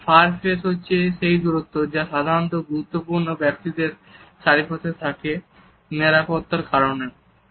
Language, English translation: Bengali, The far phase is also the distance that is automatically set around important public figures for safety reasons too